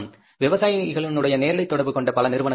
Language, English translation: Tamil, There are so many companies of the direct contacts with the farmers